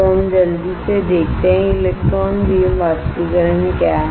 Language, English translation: Hindi, So, let us see quickly, What is an electron beam evaporator